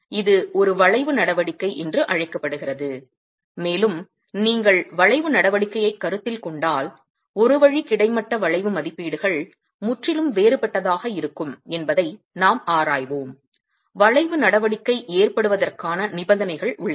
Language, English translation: Tamil, It's called an arching action and we will examine how one way horizontal bending estimates can be completely different if you consider arching action and the conditions are available for arching action to occur